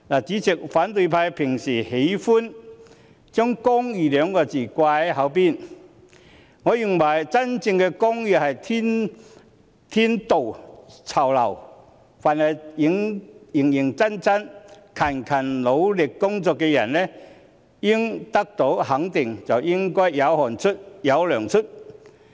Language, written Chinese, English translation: Cantonese, 主席，反對派平時喜歡將"公義"二字放在嘴邊，我認為真正的公義是天道酬勤，凡是認真和辛勤努力工作的人都應得到肯定，應該是"有汗出便有糧出"。, Chairman the opposition are fond of talking about justice . In my view real justice entails rewarding people who are diligent . Anyone who works conscientiously and diligently should be appreciated and one should be paid as long as he sweats